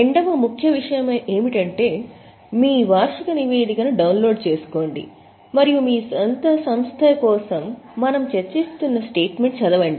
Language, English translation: Telugu, Second important thing is download your annual report and read the statement which we are discussing for your own company